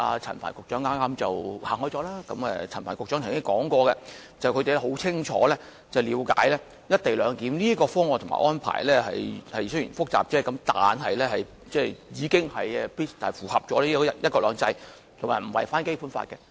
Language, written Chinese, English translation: Cantonese, 陳帆局長剛才提到他們很清楚了解"一地兩檢"方案及安排雖然複雜，但亦已符合"一國兩制"及不會違反《基本法》。, He has just mentioned that they thoroughly understand the co - location proposal claiming that the arrangement despite its complexity does conform to one country two systems without violating the Basic Law